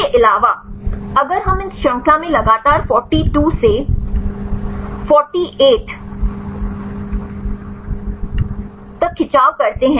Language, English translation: Hindi, Also if we in this chain I continuously a stretch 42 to 48